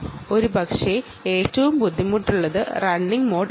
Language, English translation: Malayalam, ok, and perhaps the toughest is the running mode